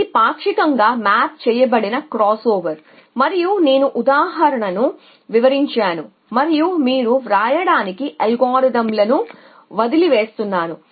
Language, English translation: Telugu, So, this is the partially mapped cross over and I just illustrated to this example and these the algorithms for you to like